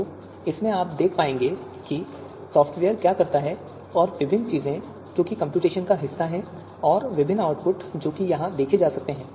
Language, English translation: Hindi, So in this, now you would be able to you know see what the software does and the different things that are part of the computations and different output that can be that can be seen seen here